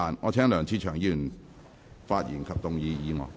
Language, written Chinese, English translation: Cantonese, 我請梁志祥議員發言及動議議案。, I call upon Mr LEUNG Che - cheung to speak and move the motion